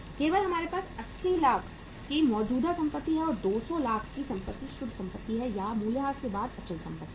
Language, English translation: Hindi, That only we have the current assets of 80 lakhs and the 200 lakhs of the assets are of the net fixed assets or the fixed assets after depreciation